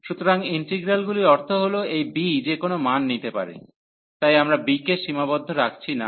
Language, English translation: Bengali, So, integrals means that this b can take any value, so we are not restricting on b